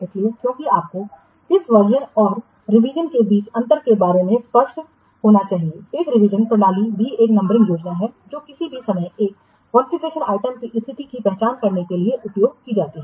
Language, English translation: Hindi, So, because you must be clear about the difference between what version and revision, a revision system is also a numbering scheme that is used to identify the state of a configuration item at any time